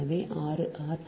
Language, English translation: Tamil, this is two r